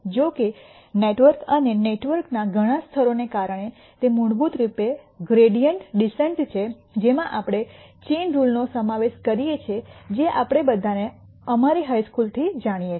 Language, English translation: Gujarati, However, because of the network and several layers in the network it is basically gradient descent we are including an application of a chain rule which we all know from our high school